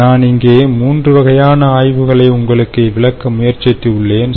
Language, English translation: Tamil, so what i try to do here is: i try to show you three case studies